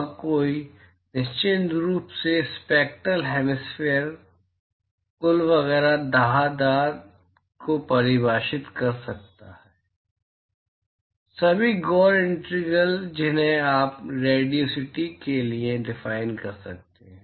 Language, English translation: Hindi, And one could certainly define the spectral hemispherical total etcetera dah dah dah all the gory integrals you can define for radiosity as well